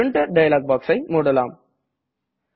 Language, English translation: Tamil, Lets close the Printer dialog box